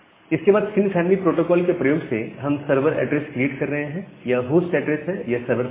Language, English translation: Hindi, After that we are creating the server address by using that setting the sin family the host address and the server port